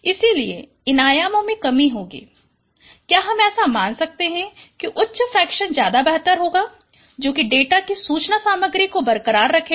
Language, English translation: Hindi, So in dimension reduction, this is what we would be considering that as high as this fraction is better is the information content of the data retained